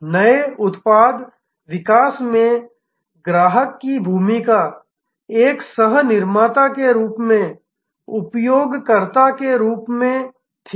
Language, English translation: Hindi, Customer had a role in new product development as a co creator as user